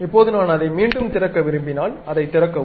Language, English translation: Tamil, Now, if I would like to reopen that, open that